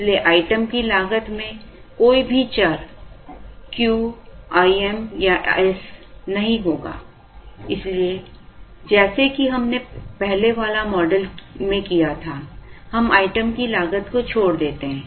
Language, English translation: Hindi, So, the item cost will not contain any of the variables Q, I m or s, so like we did in the earlier model, we leave out the item cost